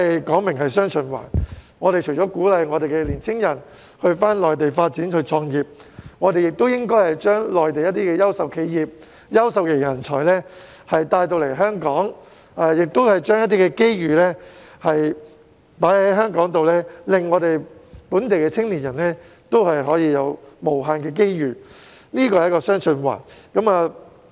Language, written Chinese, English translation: Cantonese, 既然是"雙循環"，除了鼓勵香港的青年人到內地發展及創業，亦應該把內地的優秀企業和人才帶來香港，把機遇放在香港，令本地的青年人可以有無限的機遇，這便是"雙循環"。, In view of the dual circulation we should not only encourage young people in Hong Kong to develop and start their own businesses in the Mainland but should also attract Mainlands outstanding enterprises and talents to Hong Kong . By pooling opportunities in Hong Kong local young people can have unlimited opportunities and this is what is meant by dual circulation